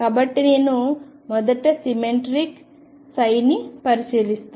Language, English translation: Telugu, So, I will first consider symmetric psi